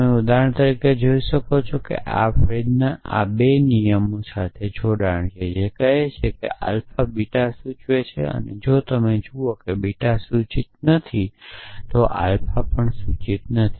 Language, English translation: Gujarati, So, you can see for example, this one Frege one has connection with this two rules, essentially this tool says that alpha implies beta and if you see that not beta implies not alpha is implied